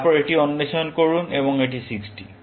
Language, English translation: Bengali, Then, explore this, and this is 60